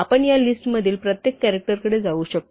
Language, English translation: Marathi, So, how do we get to individual characters in this list